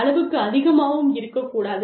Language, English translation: Tamil, It should not be too much, you know